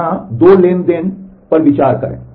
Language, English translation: Hindi, So, consider 2 transactions transaction 1 here